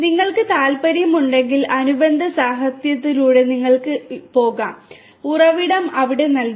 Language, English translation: Malayalam, And if you are interested you can go through the corresponding literature the source is given over here